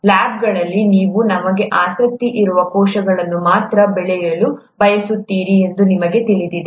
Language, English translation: Kannada, You know in the labs you would want to grow only the cells that we are interested in